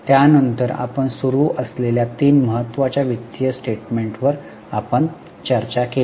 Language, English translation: Marathi, Then we went on to discuss three important financial statements